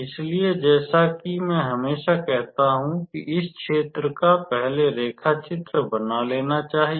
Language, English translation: Hindi, So, as I always say it is always suggestible to draw the area first